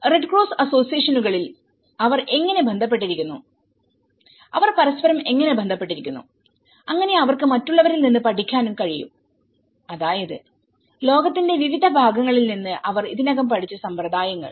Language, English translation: Malayalam, How they have also associated with in the red cross associations, how they have also associated with each other so, that they can learn from other, you know, practices which they have already learned from different parts of the globe